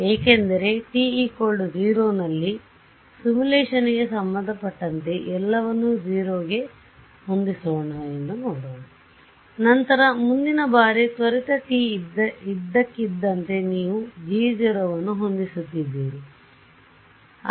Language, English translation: Kannada, Because as far as the simulation is concerned at t is equal to 0 let us see set everything to 0, then next time instant delta t suddenly you are setting g 0 to be so, so high right